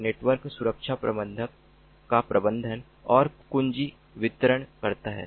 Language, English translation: Hindi, a secu network security manager manages and distributes the keys